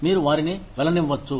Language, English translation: Telugu, You can let them go